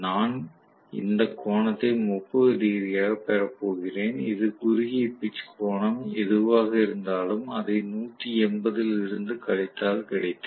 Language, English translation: Tamil, I am going to have this angle to be 30 degrees, which is corresponding to 180 minus whatever is the short pitch angle